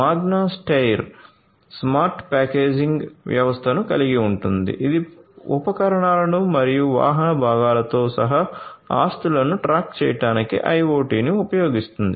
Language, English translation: Telugu, Magna Steyr has the smart packaging system which uses IoT for tracking assets including tools and vehicle parts